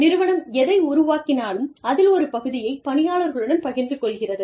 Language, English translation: Tamil, The organization shares, a part of whatever it makes, with the employees